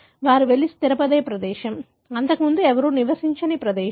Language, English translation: Telugu, It may so happen that the place they go and settle is a place where nobody lived before